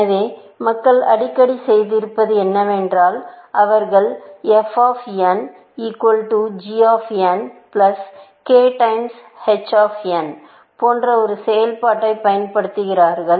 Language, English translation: Tamil, So, what people have often done is that, they have tend to use a function like this; f of n equal to g of n plus k times h of n; this is known as weighted A star, essentially